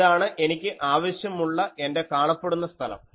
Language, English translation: Malayalam, So, this is my visible space I want